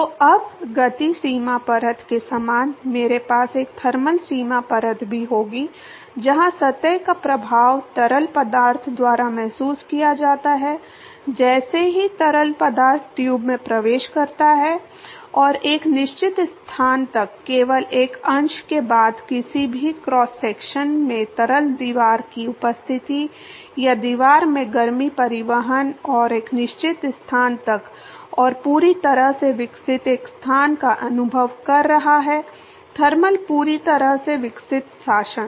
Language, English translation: Hindi, So, now, similar to momentum boundary layer I will also have a thermal boundary layer, where the effect of the surface is felt by the fluid as soon as the fluid enters the tube and up to a certain location, only if a fraction of the fluid in any cross section is experiencing the presence of the wall or the heat transport from the wall and up to a certain location and a location called fully developed; thermal fully developed regime